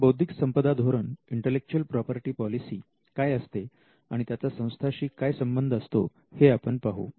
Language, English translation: Marathi, Now, let us look at the intellectual property policy as to what an IP policy can do for an institution